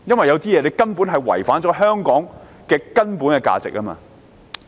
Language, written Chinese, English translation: Cantonese, 有些事情違反香港的根本價值。, In certain cases the fundamental values of Hong Kong are contravened